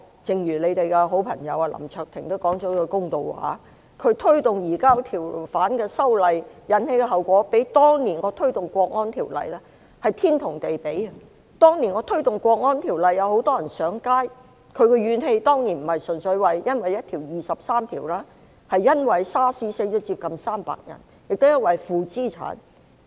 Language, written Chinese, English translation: Cantonese, 正如你們的好朋友林卓廷議員也說了一句公道話，推動移交逃犯的修例引起的後果，相比當年我推動"國安條例"是天與地比，當年我推動"國安條例"有很多人上街，但他們的怨氣並不純粹在於二十三條立法，亦包括 SARS 死了接近300人及負資產。, Your good friend Mr LAM Cheuk - ting also made a fair statement by saying that the consequences of the amendment to promote the surrender of fugitives are incomparable to the National Security Bill that I promoted then . When I promoted the bill many people went to the streets for demonstration but their grievances were not purely on the legislation under Article 23 of the Basic Law . The causes included the death of nearly 300 people during the pandemic of SARS and negative equity problem